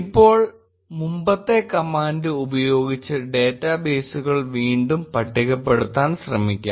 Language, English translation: Malayalam, Now, let us try to again list databases using the previous command